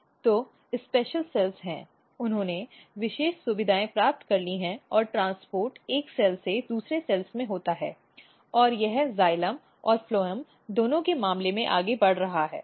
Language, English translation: Hindi, So, there are special cells they have acquired special features and the transport occurs from one cell to another cells and it is moving for both in case of xylem as well and the phloem